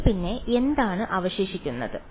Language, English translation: Malayalam, So, then what remains